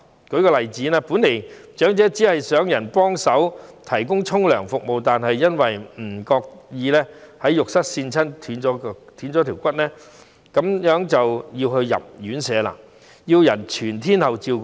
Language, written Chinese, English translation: Cantonese, 舉例來說，長者本來可能只需要有人幫忙提供洗澡服務，但由於自己不小心在浴室滑倒撞斷腳骨，結果便需要入住院舍，由別人全天候照顧。, For instance an elderly person might only need a carers service of helping him to take a shower but when this service could not be provided and he had to do it himself he carelessly slipped on the floor in the bathroom and broke his leg . As a result he needed to be admitted to a residential care home and be under the round - the - clock care of carers